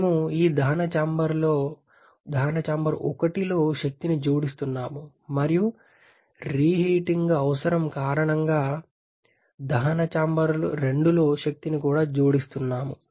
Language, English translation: Telugu, We are adding energy in this combustion chamber 1 and also adding the energy in the combustion chamber 2 because of the reheating requirement